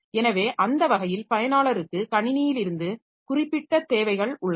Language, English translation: Tamil, So, that way the user has got a certain set of requirements from the system